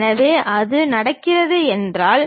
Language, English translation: Tamil, So, if that is happening